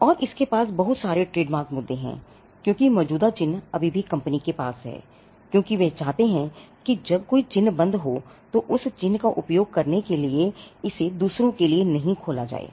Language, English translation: Hindi, And that has whole lot of trademark issues, because the existing mark is still held by the company, because they do not want others when a mark like that is discontinued, it will not be opened for others to use that mark